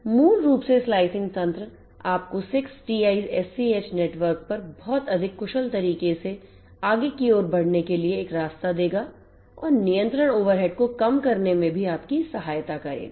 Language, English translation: Hindi, So, basically the slicing mechanism will give you dedicated forwarding paths across the 6TiSCH network in a much more efficient manner and will also help you in reducing the control overhead